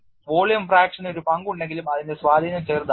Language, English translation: Malayalam, Though volume fraction plays a role, its influence is small